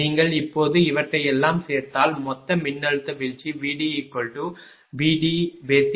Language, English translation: Tamil, If you now add all these things therefore, total voltage drop V D A plus V D B plus V D C it becomes 1